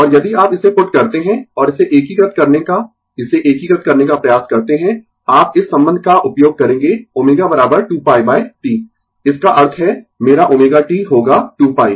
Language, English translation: Hindi, And if you put it, and try to integrate it integrate it, you will use this relationship omega is equal to 2 pi by T that means, my omega T will be is equal to 2 pi right